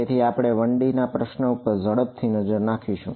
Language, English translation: Gujarati, So, we will take a quick look at a 1D problem ok